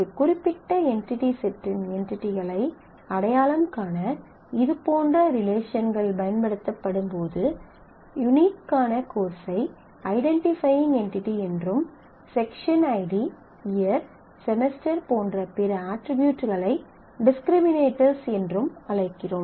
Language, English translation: Tamil, When such relationships are used to identify entities of a particular entity set, then the unique side the course side which is unique is known as the identifying entity and the other attributes in this case section id year semester are known as the discriminators